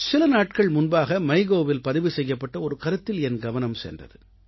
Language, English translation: Tamil, I happened to glance at a comment on the MyGov portal a few days ago